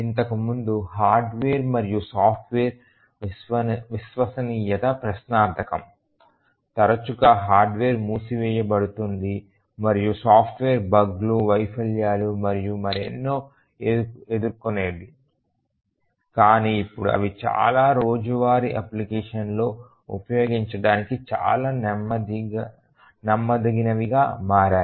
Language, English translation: Telugu, Earlier the hardware and software reliability was questionable, often the hardware will shut down the software will encounter bugs, failures and so on, but now they have become extremely reliable for them to be used in many many daily applications